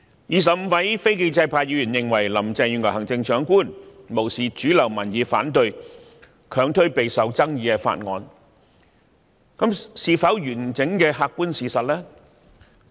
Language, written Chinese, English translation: Cantonese, 二十五位非建制派議員認為行政長官林鄭月娥無視主流民意反對，強推備受爭議的法案，這是否完整的客觀事實？, The 25 non - pro - establishment Members accuse Chief Executive Carrie LAM of disregarding mainstream opposing views and unrelentingly pushing through a highly controversial bill